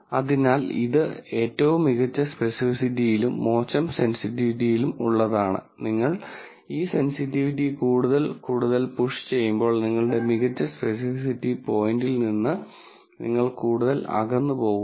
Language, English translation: Malayalam, So, this happens to be the best specificity worst sensitivity and as you push this sensitivity more and more, you go further away from your best specificity point